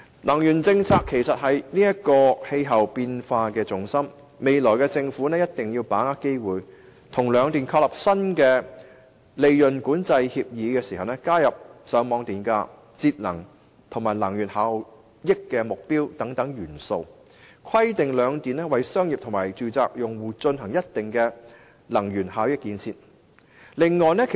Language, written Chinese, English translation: Cantonese, 能源政策是應對氣候變化的重心，政府未來必須把握機會，在與兩間電力公司簽訂新的利潤管制協議時，加入上網電價補貼、節能及能源效益目標等元素，並規定兩間電力公司為商業及住宅用戶進行能源效益建設。, The energy policy is an important part of our efforts to cope with climate change . The Government must grasp the opportunity of renewing the respective Scheme of Control Agreements with the two power companies in the future and include certain elements in such agreements . It should also require the two power companies to develop energy efficiency systems for commercial and residential users